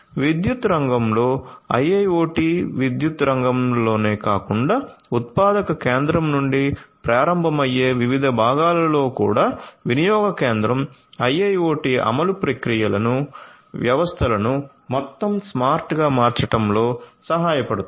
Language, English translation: Telugu, So, IIoT in the electricity sector in different parts of the electricity sector not only in the power plants, but also in the different parts starting from the generation point till the consumption point IIoT implementation can help in making the processes the systems overall smart